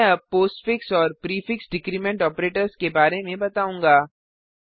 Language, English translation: Hindi, I will now explain the postfix and prefix decrement operators